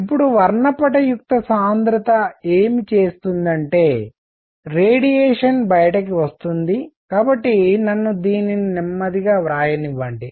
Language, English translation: Telugu, Now, what spectral density does is that radiation which is coming out; so, let me write this slowly